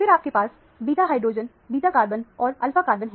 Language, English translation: Hindi, Then, you have the beta hydrogen – beta carbon and the alpha carbon